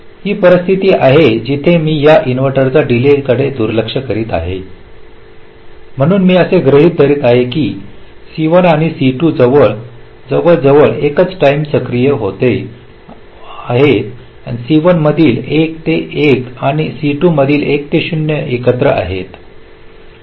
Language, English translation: Marathi, this is a scenario where here i am ignoring the delay of this inverter, so i am assuming c one and c two are getting activated almost simultaneously, zero to one of c one and one to zero of c two are happing together